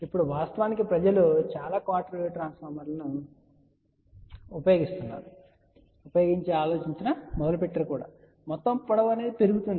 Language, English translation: Telugu, Now, actually people start thinking then if we use too many quarter wave transformers, my overall length increases